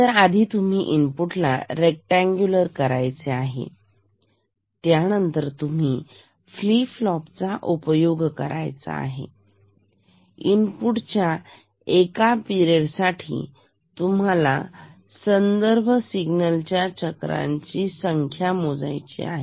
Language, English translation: Marathi, So, you give first you make the input to a rectangular one; then you can use this flip flop and then within one period of the input, you count the number of cycles of this reference signal; this is how it works, this is reciprocal counting